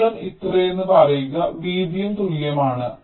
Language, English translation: Malayalam, say: length is this much, width is also the same